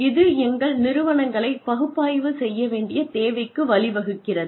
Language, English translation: Tamil, This in turn, leads to a need to analyze our organizations